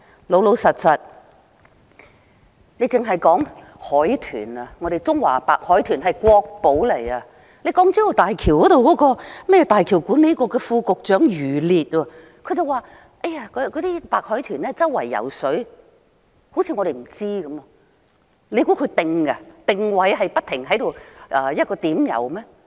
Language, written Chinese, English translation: Cantonese, 老實說，單說海豚，我們的中華白海豚是國寶，而那個港珠澳大橋管理局副局長余烈卻說白海豚四處游動，好像我們不知道般，難道白海豚會定下來在一個地點游動？, Honestly just look at the dolphins . Chinese white dolphins are a national treasure to us and that YU Lie a Deputy Director of the Hong Kong - Zhuhai - Macao Bridge Authority outrageously said that the white dolphins swim everywhere sounding as if this is a fact that we do not know . Could it be that the dolphins always swim at the same place?